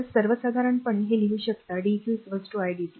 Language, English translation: Marathi, So, in general we can write that dq is equal to i dt